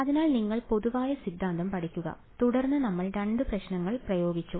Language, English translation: Malayalam, So, you learn the general theory and then we applied to two problems ok